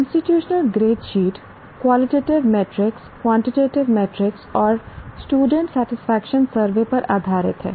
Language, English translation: Hindi, The institutional grade sheet is based on qualitative metrics, quantitative metrics, and the student satisfaction survey